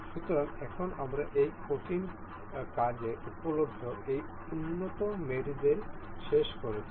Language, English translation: Bengali, So, now we have finished this advanced mates available in this solid works